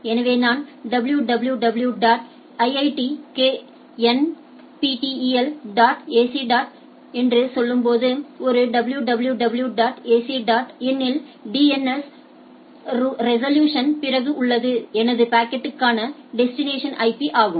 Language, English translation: Tamil, So, when I am saying www dot iitknptel dot ac dot in so a www dot ac dot in has a after DNS resolution IP which is the destination IP for my packet